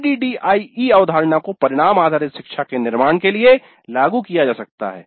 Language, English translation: Hindi, The ADE concept can be applied for constructing outcome based learning